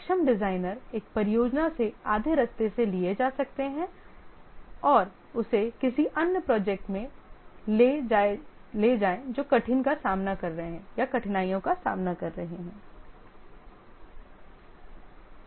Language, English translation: Hindi, The competent designers, he might take from one project halfway replace him, take him to another project which is facing difficulty and so on